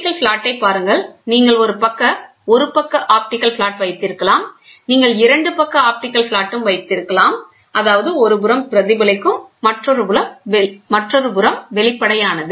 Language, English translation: Tamil, See optical flat you can have one side optical flat, you can have 2 sides optical flat; that means, to say both sides one side reflecting and both sides transparent